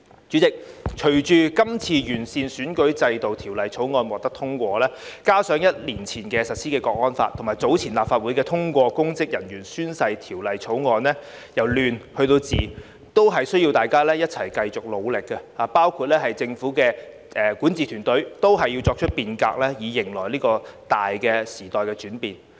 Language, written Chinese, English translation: Cantonese, 主席，隨着這次完善選舉制度的《條例草案》獲得通過，加上一年前實施的《香港國安法》，以及早前立法會已通過有關公職人員宣誓的條例草案，由亂入治，都需要大家一齊繼續努力，包括政府管治團隊，都要作出變革，以迎來這個大時代的轉變。, President with the passage of the Bill to improve the electoral system the implementation of the Hong Kong National Security Law a year ago and the passage of a bill on oath - taking of public officers by the Legislative Council earlier we need to continue to work together to halt chaos and restore order in Hong Kong . In addition the governing team of the Government also needs to reform to cope with the changes of this great era